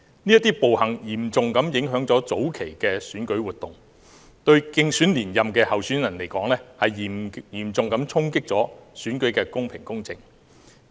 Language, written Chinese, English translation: Cantonese, 這些暴行嚴重影響了早期的選舉活動，對競選連任的候選人而言，嚴重衝擊了選舉的公平公正。, These brutal acts seriously affected the initial electoral activities and dealt a blow to the candidates who stand for a consecutive term in view of the negative impacts on the fairness and justice of the election